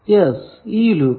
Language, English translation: Malayalam, Now, what is a loop